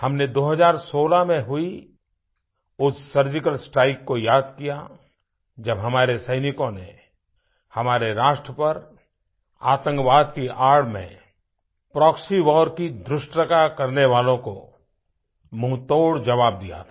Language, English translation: Hindi, We remembered that surgical strike carried out in 2016, where our soldiers gave a befitting reply to the audacity of a proxy war under the garb of terrorism